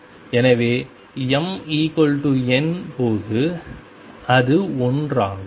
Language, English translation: Tamil, So, that when m equals n it is one